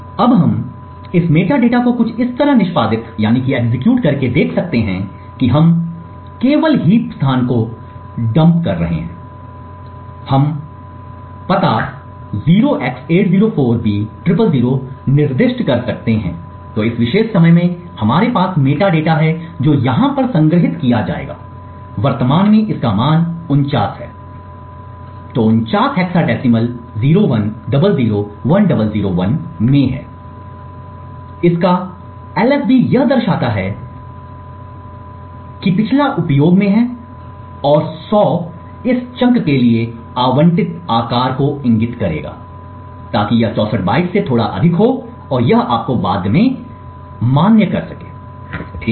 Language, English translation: Hindi, Now we can look at this metadata by executing something like this we are just dumping the heap location and we could specify the address 0x804b000, so in this particular time we have the metadata which will be stored over here currently it has a value of 49, so 49 is in hexadecimal 01001001, the LSB of this is 1 indicating that the previous is in use and 100 would indicate the size that is allocated for this chunk so this would be slightly greater than 64 bytes and this you could actually validate later, okay